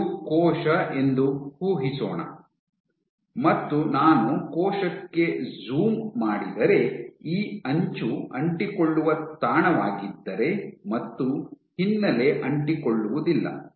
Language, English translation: Kannada, So, let us assume if I want to zoom in on a cell; let us say this is a cell and let us say this edge is an adherent spot and the background is non adherent